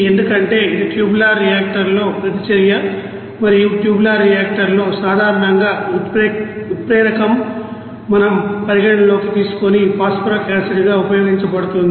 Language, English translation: Telugu, For it is reaction in the tubular reactor and in the tubular reactor generally the catalyst are being used as phosphoric acid that we have considered